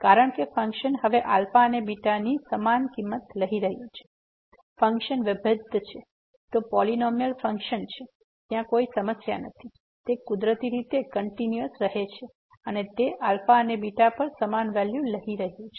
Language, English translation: Gujarati, Because, of the reason because the function is taking now equal value at alpha and beta, function is differentiable, it is a polynomial function, there is no problem, the it is continuous naturally and it is taking the same value at alpha and beta